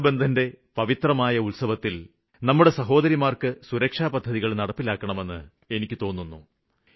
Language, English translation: Malayalam, I had made a humble request that on the occasion of Raksha Bandhan we give our sisters these insurance schemes as a gift